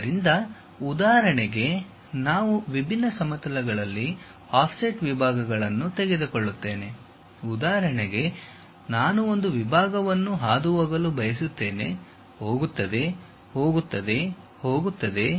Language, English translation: Kannada, So, for example, if we are taking offset sections at different planes; for example, I want to pass a section goes, goes, goes, goes